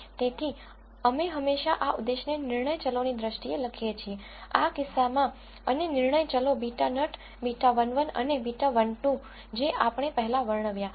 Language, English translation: Gujarati, So, we always write this objective in terms of decision variables and the decision variables in this case are beta naught beta 1 1 and beta 1 2 so, we described before